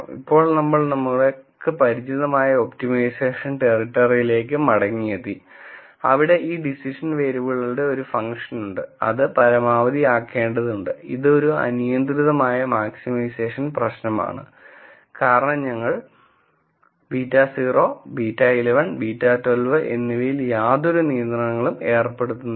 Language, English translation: Malayalam, Now we have come back to our familiar optimization territory, where we have this function which is a function of these decision variables, this needs to be maximized and this is an unconstrained maximization problem be cause we are not putting any constraints on beta naught beta 1 and beta 2